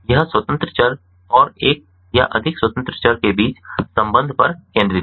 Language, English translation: Hindi, it focuses on the relationship between independent variable and one or more independent variables